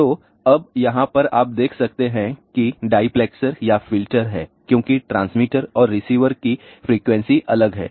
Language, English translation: Hindi, So, now, over here one can see there is a diplexer or filter because the transmitter and receive frequencies are different